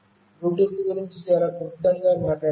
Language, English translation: Telugu, Let me very briefly talk about Bluetooth